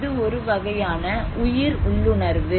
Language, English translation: Tamil, It is also a kind of survival instinct